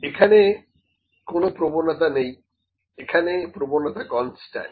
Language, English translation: Bengali, Here it has no bias, here the bias is constant